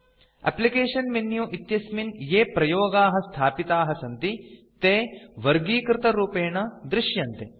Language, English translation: Sanskrit, The application menu contains all the installed applications in a categorized manner